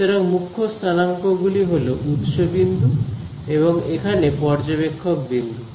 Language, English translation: Bengali, So, the prime coordinates are the source points and this over here is the observer point